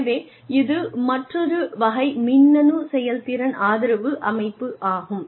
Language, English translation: Tamil, So, that is the another type of, electronic performance support system